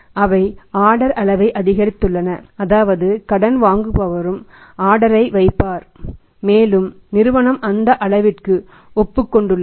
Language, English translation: Tamil, They have increased the order size is means the borrower also place the order and company has agreed to that of size